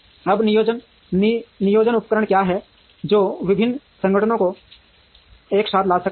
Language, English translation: Hindi, Now, what are the planning tools that can bring different organizations together